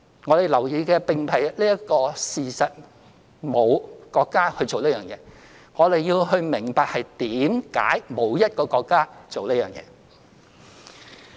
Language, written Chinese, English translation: Cantonese, 我們要留意的，並非沒有國家做這件事這一事實，而是要明白為何沒有一個國家做這件事。, What we have to pay attention to is not the very fact that no country has done such a thing but we must understand why no country has done it